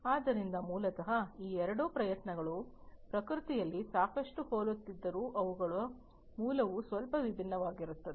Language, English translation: Kannada, So, basically these two efforts although are quite similar in nature their origin is bit different